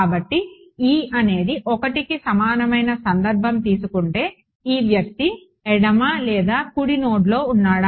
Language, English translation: Telugu, So, its e is equal to 1 and for e is equal to 1 that is this guy which is at the left or right node